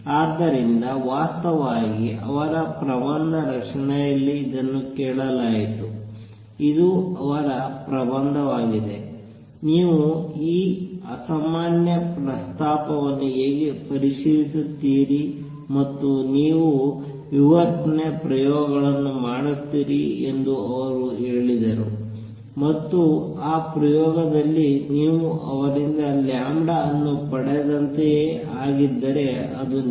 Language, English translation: Kannada, So, in fact, he was asked in his thesis defense this was his thesis how would you check this crazy proposal and he said you do diffraction experiments, and in that experiment if you get the lambda to be the same as obtained by him then it is true